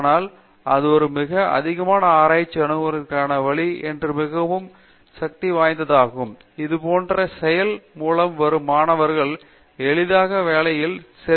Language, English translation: Tamil, But, I feel this is a much more hold some way of approaching research and more important is students who come through such a process are easily absorbed in jobs